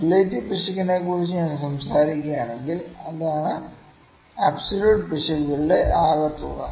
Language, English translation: Malayalam, If I talk about the relative error, that is the sum of the relative errors again